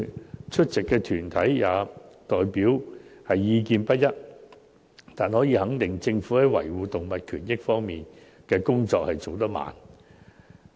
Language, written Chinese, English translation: Cantonese, 雖然出席的團體代表意見不一，但可以肯定的是，政府在維護動物權益方面的工作進展緩慢。, Despite the divergent views expressed by the deputations we are pretty sure that the Government has been progressing slowly in respect of protection of animal rights